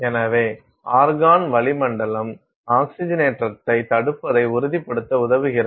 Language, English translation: Tamil, So, the argon atmosphere helps us ensures prevention of oxidation